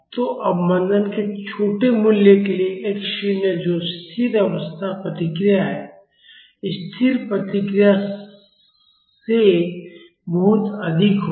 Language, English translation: Hindi, So, for small values of damping, the x naught that is the steady state response will be much higher than the static response